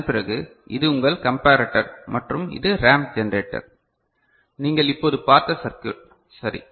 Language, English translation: Tamil, And after that so, this is your this comparator and this is the ramp generator, the circuit that you have just seen ok